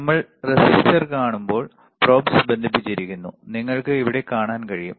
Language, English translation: Malayalam, So, when we see the resistor, the probes are connected you can see here, right